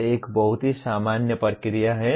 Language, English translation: Hindi, That is a very normal process